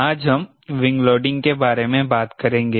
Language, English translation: Hindi, we will be talking about wing loading today